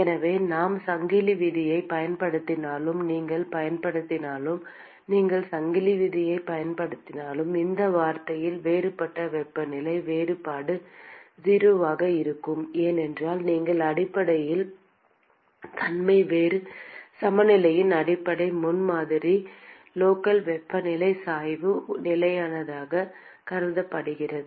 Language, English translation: Tamil, And therefore, even if we use chain rule you could use even if you use chain rule, in this term, the differential temperature difference will be 0, because you by nature of the the basis the fundamental premise of differential balance is that the local temperature gradient is assumed to be constant